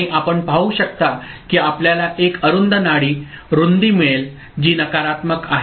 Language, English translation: Marathi, And you can see that we can get a narrow pulse width which is negative going ok